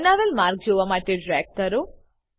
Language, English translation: Gujarati, Drag to see the created pathway